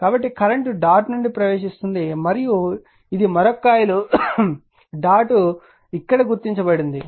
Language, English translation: Telugu, So, current is entering into the dot and this is a another coil is dot is entering marked here